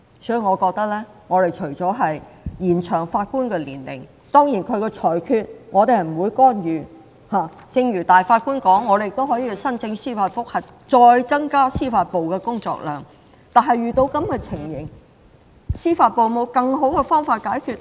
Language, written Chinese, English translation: Cantonese, 當然我們不會干預法官的裁決，正如首席法官說我們可以申請司法覆核，再增加司法機構的工作量，但遇到這種情況，司法機構有否更好的解決方法？, The Chief Justice said that we could apply for a judicial review but this would further increase the workload of the Judiciary . But in such a case does the Judiciary have better solutions?